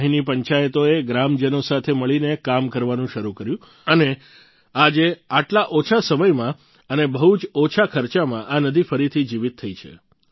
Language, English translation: Gujarati, The panchayats here started working together with the villagers, and today in such a short time, and at a very low cost, the river has come back to life again